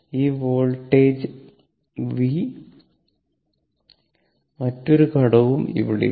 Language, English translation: Malayalam, This voltage v means no other element is there